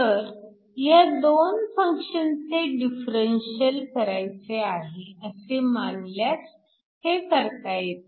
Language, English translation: Marathi, So, this you can get by essentially treating this as the differential of 2 functions